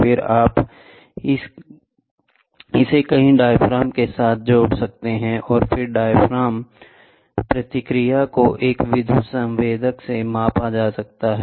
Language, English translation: Hindi, Then you can attach it with multiple diaphragms, then, the diaphragm response is measured to an electrical sensor we saw